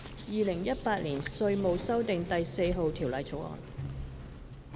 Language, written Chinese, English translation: Cantonese, 《2018年稅務條例草案》。, Inland Revenue Amendment No . 4 Bill 2018